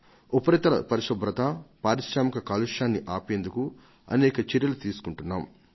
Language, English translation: Telugu, We have taken several steps for surface cleaning and to stop industrial pollution